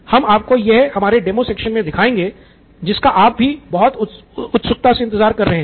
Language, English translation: Hindi, We will show that you in our demo section as well which you have been following so keenly